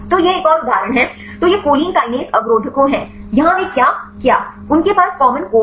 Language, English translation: Hindi, So, this is another example; so this is the choline kinase inhibitors, here they what they did; they have the common core